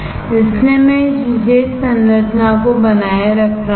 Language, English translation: Hindi, So, I am retaining this particular structure